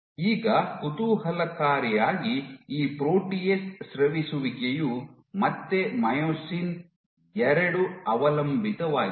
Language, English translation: Kannada, Now interestingly this protease secretion is again Myosin 2 dependent